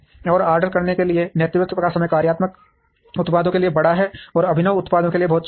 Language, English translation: Hindi, And lead time for made to order is large for functional products, and very small for innovative products